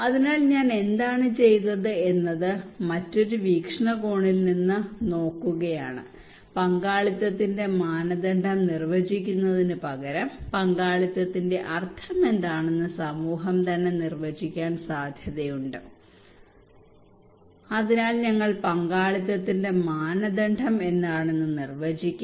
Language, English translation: Malayalam, So what we did we are looking this thing from a different angle from a different perspective we are saying that instead of we define the criteria of participation is possible that community themselves will define what is the meaning of participations what are the criterias of participations so we call this is user based approach